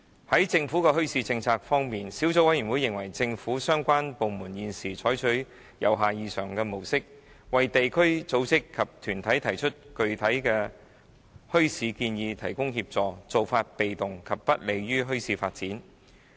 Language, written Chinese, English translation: Cantonese, 在政府的墟市政策方面，小組委員會認為政府相關部門現時採取由下而上的模式，為地區組織及團體提出具體的墟市建議提供協助，做法被動，不利於墟市發展。, As regards the Governments policy on bazaars the Subcommittee considers the present bottom - up approach adopted by the relevant government departments in providing assistance for organizations in the community rather passive and is not conducive to the development of bazaars